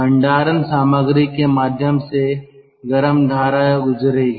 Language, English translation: Hindi, again hot stream will pass through the storage material